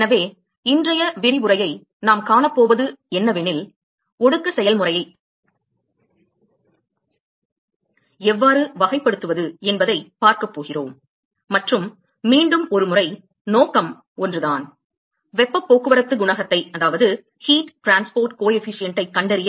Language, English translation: Tamil, So, what we going to see today’s lecture is; going to look at how to characterize condensation process and once again the objective is the same: to find out the heat transport coefficient